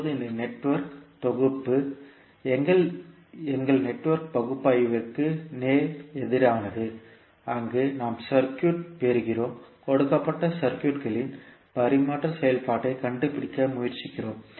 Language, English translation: Tamil, Now this Network Synthesis is just opposite to our Network Analysis, where we get the circuit and we try to find out the transfer function of the given circuit